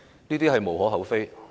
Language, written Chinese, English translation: Cantonese, 這是無可厚非的。, This is understandable